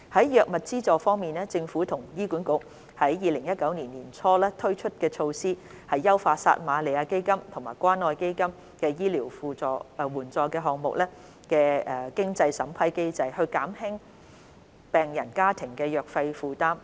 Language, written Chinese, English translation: Cantonese, 藥物資助方面，政府和醫院管理局於2019年年初推出措施優化撒瑪利亞基金和關愛基金醫療援助項目的經濟審查機制，以減輕病人家庭的藥費負擔。, In respect of drug subsidy the Government and the Hospital Authority HA introduced enhancement measures for the means test mechanism of the Samaritan Fund and the Community Care Fund Medical Assistance Programmes in early 2019 to alleviate the financial burden of patients families arising from drug expenses